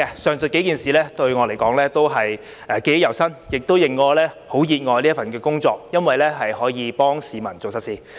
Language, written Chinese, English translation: Cantonese, 上述幾件事，對我來說都是記憶猶新，亦令我很熱愛這份工作，因為可以幫市民做實事。, The few incidents just mentioned are still fresh in my memory and have made me love this job because I can do concrete things for the public